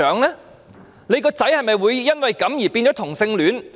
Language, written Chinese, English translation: Cantonese, 她的孩子會否因此變成同性戀？, Would her children become homosexuals because of such policies?